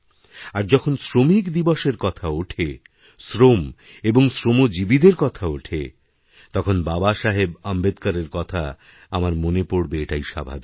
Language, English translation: Bengali, And when 'Labour Day' is referred to, labour is discussed, labourers are discussed, it is but natural for me to remember Babasaheb Ambedkar